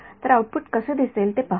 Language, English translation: Marathi, So, let us see what the output looks like